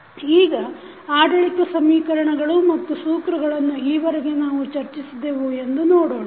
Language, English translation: Kannada, Now, let us see what are the governing equations and the laws we have discussed till now